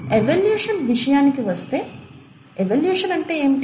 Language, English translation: Telugu, So coming to evolution, and what is evolution